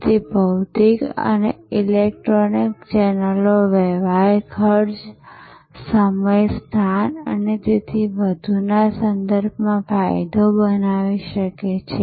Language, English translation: Gujarati, So, the physical and electronic channels may create advantages with respect to transaction cost, time, location and so on